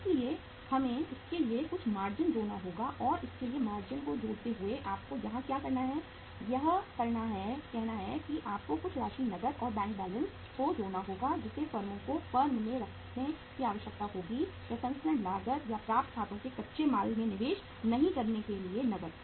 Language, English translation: Hindi, So we have to add up some margin for that and while adding up the margin for that what you have to do here is that you have to uh say uh add some amount of the cash and bank balance which the firms will be requiring to keep in the form of the cash not to invest in the raw material in the processing cost or in the accounts receivable